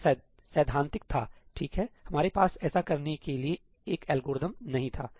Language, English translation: Hindi, That was theoretical, right we did not have an algorithm to do that